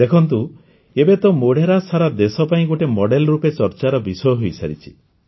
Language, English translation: Odia, Look, now Modhera is being discussed as a model for the whole country